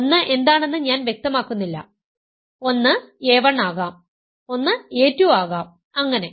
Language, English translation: Malayalam, I am not specifying what 1 is, one could be a 1, 1 could be a 2 and so on